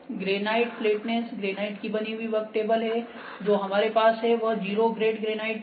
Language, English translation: Hindi, So, granite flatness granite is the work table that we have it is the flatness it is the zero grade granite